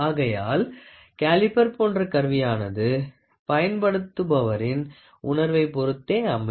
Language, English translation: Tamil, So, the instrument such as caliper depends on the feel of the user for their precision